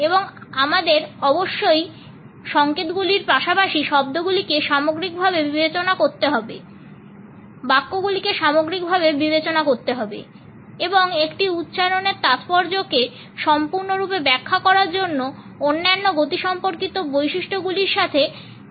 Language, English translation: Bengali, And we must consider these signals as well as the words in totality, the sentences in totality, and combine the interpretation with other kinesics features to fully interpret the significance of an utterance